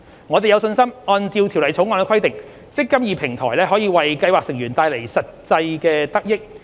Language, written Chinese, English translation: Cantonese, 我們有信心按照《條例草案》的規定，"積金易"平台可為計劃成員帶來實際得益。, We are confident that pursuant to the Bill the eMPF Platform will bring tangible benefits to scheme members